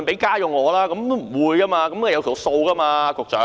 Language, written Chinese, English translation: Cantonese, 局長，總會有個數目吧。, Secretary there must be a figure